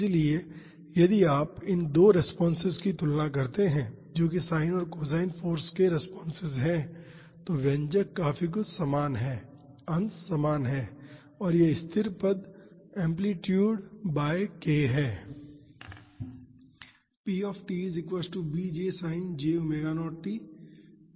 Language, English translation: Hindi, So, if you just compare these 2 responses that is the responses to sin and cos forces, the expression is quite similar the numerator is same and this constant term is amplitude by k